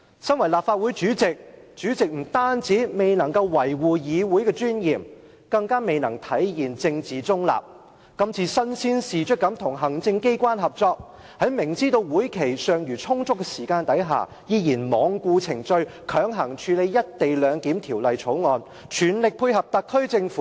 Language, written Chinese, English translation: Cantonese, 身為立法會主席，不單未能維護議會的尊嚴，更未能體現政治中立，身先士卒與行政機關合作，明知道會期尚餘充足時間，依然罔顧程序，強行處理《條例草案》，全力配合特區政府。, As the President of the Legislative Council you have failed not only to safeguard the Councils dignity but also to manifest political neutrality as you take the lead to cooperate with the executive authorities . While knowing perfectly well the availability of sufficient scrutiny time you try the best that you can to connive with the Special Administrative Region SAR Government and handle the Bill coercively in total disregard of standard procedure